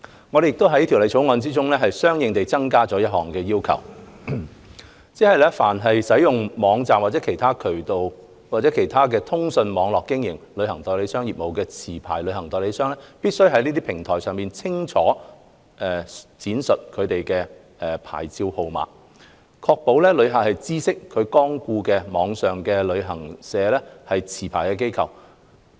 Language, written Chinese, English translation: Cantonese, 我們亦在《條例草案》中相應地增加了一項要求，即凡使用網站或任何其他通訊網絡經營旅行代理商業務的持牌旅行代理商，必須在這些平台上清楚述明其牌照號碼，確保旅客知悉其光顧的網上旅行社為持牌機構。, To tie in with these amendments we have proposed a new provision to the Bill to require all licensed travel agents using websites or other communication networks for carrying on travel agent business to clearly state their licence numbers on these platforms so that their customers can learn about their licensed online travel agent status